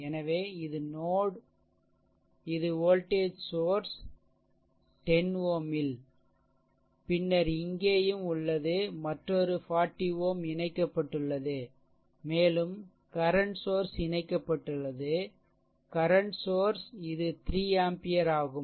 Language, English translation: Tamil, So, this is the node ah this is your voltage source at 10 ohm, then across here also another 40 ohm is connected, right and here also same thing a current source is also connected a current source it is also 3 ampere